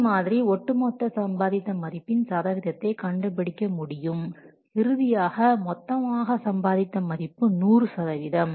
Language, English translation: Tamil, So in this way you can get the percentage of cumulative and value and of course finally the total and value will be 100%